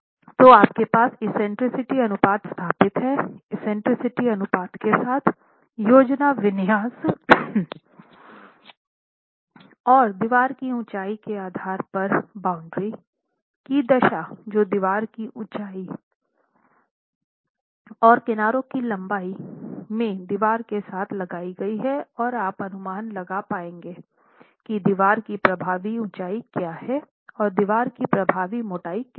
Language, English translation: Hindi, So, you have an eccentricity ratio established, your initial eccentricity ratio established with the eccentricity ratio, with the plan configuration and the elevation of the wall based on the boundary conditions imposed by the ends of the wall along the height and the edges of the wall in length you will be able to estimate what the effective height of the wall is, what the effective length of the wall is and the effective thickness of the wall